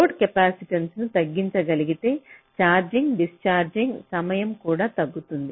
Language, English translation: Telugu, if i can reduce the load capacitance, my charging, discharging time can also reduce